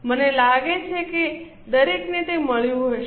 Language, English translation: Gujarati, I think everybody would have got